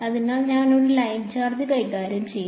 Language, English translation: Malayalam, So, we will deal with a line charge